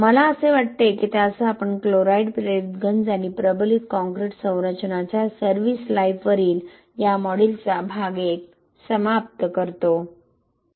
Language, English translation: Marathi, I think that with that we end the part 1 of this module on chloride induced corrosion and service life of reinforced concrete structures